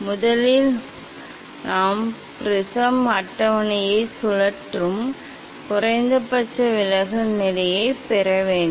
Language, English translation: Tamil, first we have to get the minimum deviation position rotating the prism table